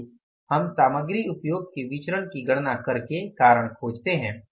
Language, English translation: Hindi, Let's search for the reason by calculating the material usage variance